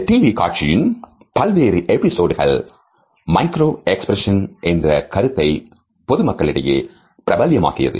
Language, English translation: Tamil, Various episodes of this TV show had popularized the idea of micro expressions in the public